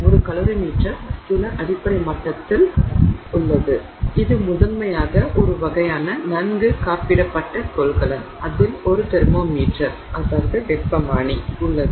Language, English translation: Tamil, A calorie meter at some fundamental level it's primarily a well insulated, you know container of some sort, uh, in which there is a thermometer